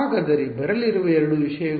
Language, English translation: Kannada, So, what are the two things that will come